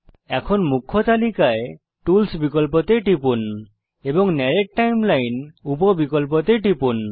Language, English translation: Bengali, Next click on Tools in the Main Menu and choose Narrate Timeline sub option